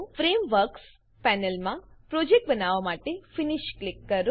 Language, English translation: Gujarati, In the Frameworks panel, click Finish to create the project